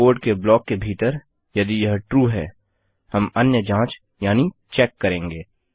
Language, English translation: Hindi, And inside our block of the code if this is TRUE we will perform another check